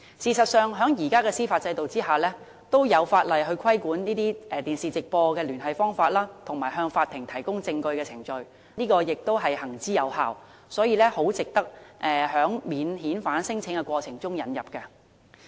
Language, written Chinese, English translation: Cantonese, 事實上，在現行的司法制度下，已有法例規管以電視直播聯繫方式向法庭提供證據的程序，並且行之有效，很值得在免遣返聲請的過程中引入。, There are actually laws regulating the presentation of evidence to the Court through live television under the existing judicial system . Given the effectiveness of the measure it should be introduced to the screening process for non - refoulement claims